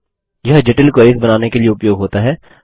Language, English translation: Hindi, This is used to create complex queries